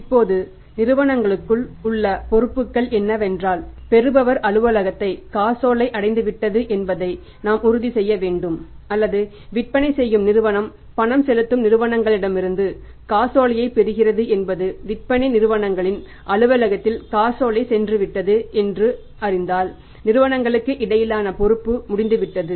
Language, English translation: Tamil, Now the pair has the responsibility is that he has to make sure that check reaches in the receiver's office or the selling company receives the check from the paying company once that check is reached in the selling company's office the responsibility of the payer is over